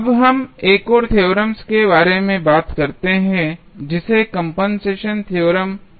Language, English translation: Hindi, Now, let us talk about another theorem, which is called as a compensation theorem